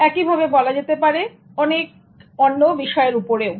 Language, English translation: Bengali, The same thing can be said about so many other subjects